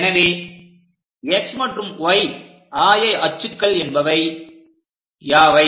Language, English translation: Tamil, So, what about this x coordinate, y coordinate